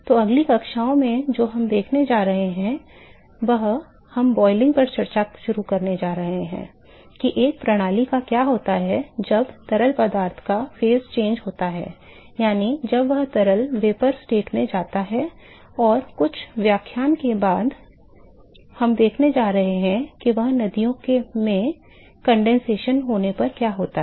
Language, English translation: Hindi, So, what we going to see in next in next classes we are going to start discussion on boiling what happens to a system when there is phase change of the fluid that is it goes from liquid to the vapor state and a few lecture down the line we going to see the rivers what happens when there is condensation